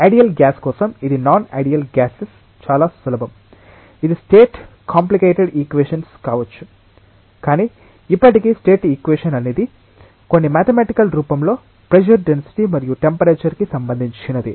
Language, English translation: Telugu, For an ideal gas it is very simple for non ideal gases, it may be more complicated equation of state, but still equation of state is something which relates pressure density and temperature in some mathematical form